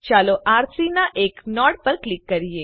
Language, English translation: Gujarati, Let us click on one of the nodes of R3